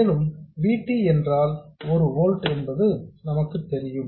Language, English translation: Tamil, And we know that VT is 1 volt, so VGS has to be 3 volts